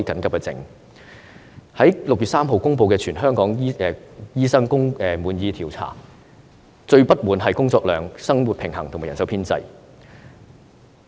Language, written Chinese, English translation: Cantonese, 我在6月3日公布的全港醫生工作滿意度調查結果，醫生最不滿的是工作量、工作生活平衡和人手編制。, According to the result of the Survey on Hong Kong Doctors Job Satisfaction that I announced on 3 June doctors are most dissatisfied with the workload their work - life balance situation and manpower establishment